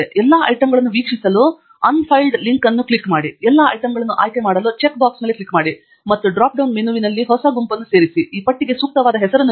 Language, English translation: Kannada, Click on the link unfiled to view all the items; click on the check box All to select all the items; and choose a New Group under the drop down menu Add to Group, and give an appropriate name to this list